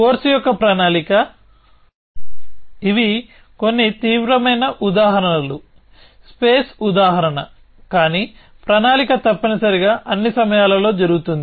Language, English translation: Telugu, So, planning of course, these are some of extreme examples space example, but planning happens all the time essentially